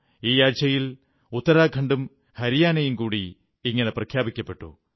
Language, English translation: Malayalam, Uttarakhand and Haryana have also been declared ODF, this week